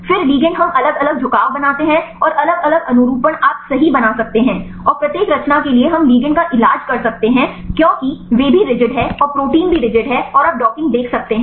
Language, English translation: Hindi, Then the ligand we make different orientations and different conformations you can make right and for each conformation right we can treat ligand as is they also rigid and the protein also rigid and you can see the docking